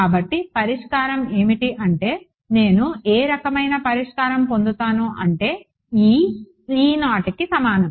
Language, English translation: Telugu, So, what is the solution what is the kind of solution that I get E is E naught